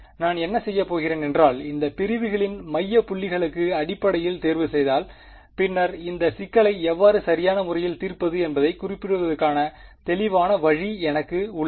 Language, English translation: Tamil, So, what I am going to do is if I choose these points basically to be the midpoints of the segments, then I have a very clear unambiguous way of specifying how to solve this problem right